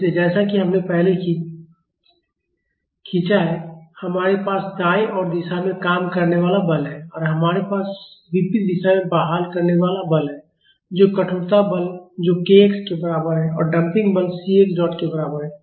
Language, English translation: Hindi, So, here as we have drawn earlier we have the force acting in right direction and we have the restoring forces in the opposite direction that is stiffness force, that is equal to k x and the damping force equal to c x dot